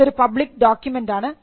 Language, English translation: Malayalam, This is a public document